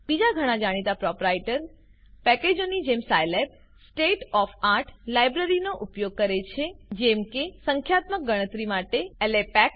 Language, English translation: Gujarati, Scilab like many well known proprietary packages uses State of art libraries i.e LAPACK for numerical computations